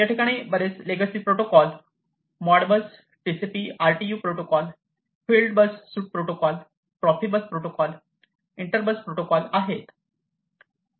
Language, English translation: Marathi, So, these legacy protocols have been there modbus TCP, RTU, these fieldbus, profibus, inter bus and so on